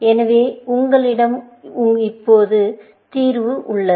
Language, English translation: Tamil, So, you have the solution now